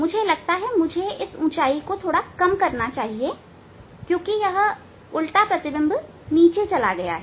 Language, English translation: Hindi, I think I must reduce slightly height, so it looks, because now inverted it has gone down, yes